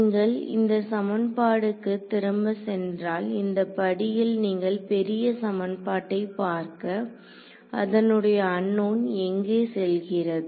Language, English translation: Tamil, If you go back to this equation, this is your step to look at this may big equation over here where do your unknowns going